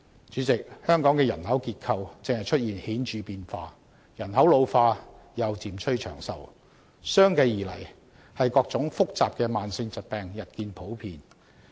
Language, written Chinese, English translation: Cantonese, 主席，香港的人口結構正出現顯著變化，人口老化又漸趨長壽，相繼而來的是各種複雜的慢性疾病日見普遍。, President Hong Kongs population structure is undergoing obvious changes in the sense that its population is ageing and peoples lives are getting longer and longer . What follows is that various complicated chronic diseases have become more common